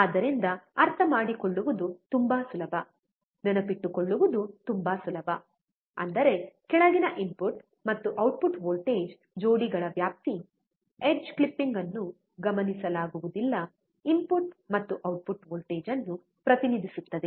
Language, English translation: Kannada, So, it is so easy to understand, so easy to remember; that means, that the range of input and output voltage pairs below, the edge clipping is not observed represents the input and output voltage